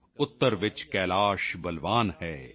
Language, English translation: Punjabi, Kailash is strong in the north,